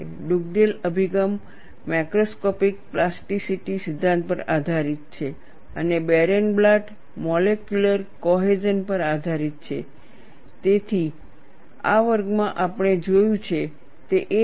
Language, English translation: Gujarati, Dugdale approach is based on macroscopic plasticity theory and Barenblatt is based on molecular cohesion